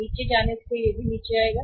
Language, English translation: Hindi, Going down it will also go down